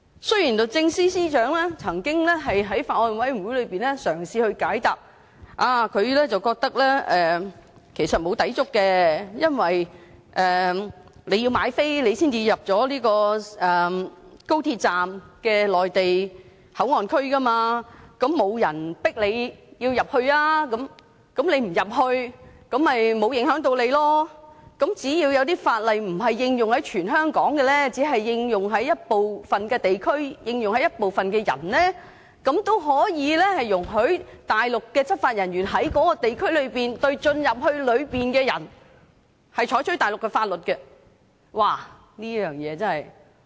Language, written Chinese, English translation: Cantonese, 雖然律政司司長曾在法案委員會會議席上嘗試解答，認為其實沒有抵觸，因為你要購票才能進入高鐵站的內地口岸區，並沒有人強迫你進入，如果你不進入，便不會影響你，只要有某些法例不應用於全港，而只應用於部分地區及部分人，那也可以容許大陸執法人員在該地區內對進入裏面的人實施內地法律。, Although the Secretary for Justice attempted to give us an explanation at a meeting of the Bills Committee saying that she believed there was actually no contravention because one had to buy a ticket to enter MPA in the XRL station that no one would force you to enter and if you do not you would not be affected that so long as some laws are not applied to the whole territory but are applied only to a certain area and certain people and in that case Mainland law enforcement officers could still be allowed to enforce Mainland laws on people who enter the area such an explanation really leaves us feeling dizzy